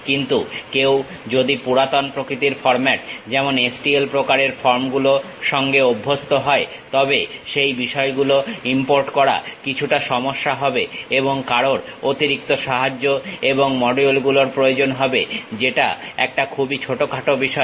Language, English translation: Bengali, But if someone is accustomed to old kind of format like STL kind of forms, then importing those things slight issue and one may require additional supports and modules which is very minor thing